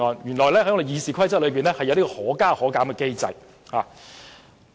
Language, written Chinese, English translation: Cantonese, 原來《議事規則》是有可加可減機制的。, It turns out that there is an adjustment mechanism encompassed in the Rules of Procedure